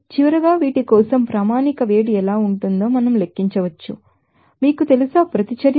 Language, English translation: Telugu, So, finally, we can calculate what should be the standard heat up, you know, reaction for these